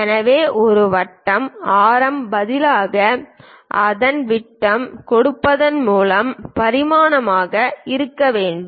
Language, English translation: Tamil, So, a circle should be dimension by giving its diameter instead of radius is must